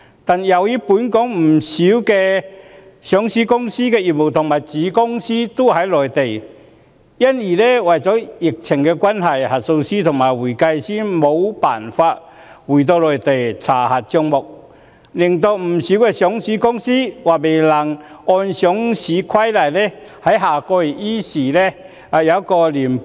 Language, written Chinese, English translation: Cantonese, 不過，由於本港不少上市公司的業務和子公司都在內地，因為疫情關係，核數師和會計師無法回到內地查核帳目，令不少上市公司或未能按《上市規則》於下月依時提交年報。, However many listed companies in Hong Kong have business and subsidiary companies on the Mainland but auditors and accountants cannot go to the Mainland to check their accounts because of the epidemic . Thus some listed companies may not be able to submit their annual reports next month in accordance with the Listing Rules